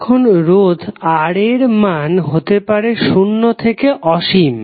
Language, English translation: Bengali, Now, the value of resistance R can change from zero to infinity